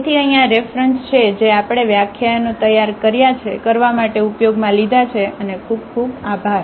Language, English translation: Gujarati, So, here these are the references here we have used for preparing the lectures